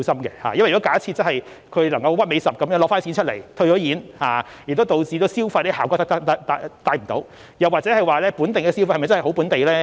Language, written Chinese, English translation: Cantonese, 因為假設有人能夠動輒退貨來套現，亦導致不能帶出消費的效果，又或該本地消費是否真的是本地呢？, It is because if someone can easily demand a refund after making a purchase then we will not be able to achieve the effect of stimulating consumption . We may also ask if the local consumption really benefits local merchants